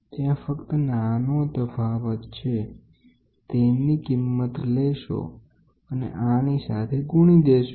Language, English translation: Gujarati, There is a small change, we take this value and multiply with this